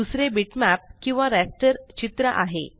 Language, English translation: Marathi, The other is bitmap or the raster image